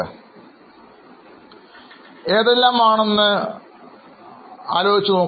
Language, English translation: Malayalam, Do you remember what else is there